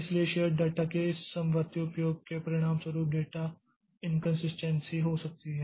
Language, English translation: Hindi, So, this concurrent access of shared data may result in data inconsistency